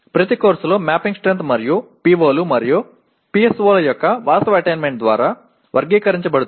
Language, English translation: Telugu, Each course is characterized by mapping strength as well as actual attainment of the POs and PSOs in this